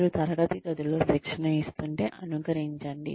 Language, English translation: Telugu, Simulate, if you are imparting training in a classroom